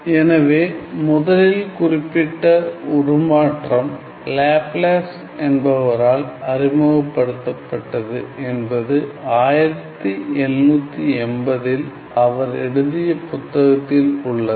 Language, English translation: Tamil, So, Laplace introduced the first mentioned of the transform was introduced by Laplace that was in 1780 in his book